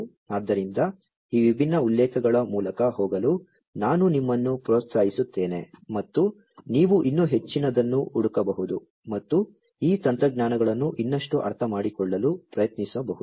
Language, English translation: Kannada, So, I would encourage you to go through these different references and you could search for even more and try to understand these technologies even further with this we come to an end